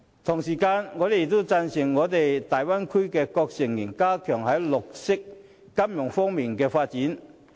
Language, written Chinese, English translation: Cantonese, 同時，我亦贊成大灣區各成員加強在綠色金融方面的發展。, Meanwhile I agree that all members of the Bay Area should push ahead with the development of green finance